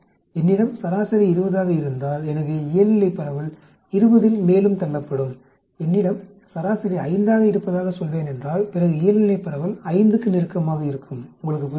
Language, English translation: Tamil, If I have a mean of 20 so the normal distribution will get shifted more in the 20, if I have the mean of say 5 then normal distribution will be closer to 5, do you understand